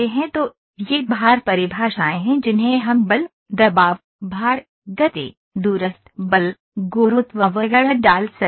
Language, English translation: Hindi, So, these are the load definitions we can put force, pressure, bearing load, movement, remote force, gravity etcetera